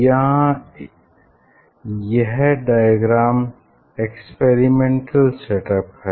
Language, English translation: Hindi, here this sketch, this diagram or experimental set up